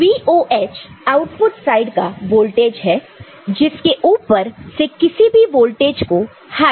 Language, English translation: Hindi, Then VOH is the voltage at the output side which is stated as high any voltage higher than that also will be treated as high